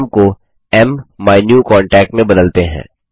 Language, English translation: Hindi, Lets change the name to MMyNewContact